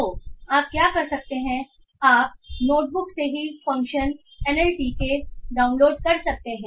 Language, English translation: Hindi, So what you can do is you can call the function NLTK download from the notebook itself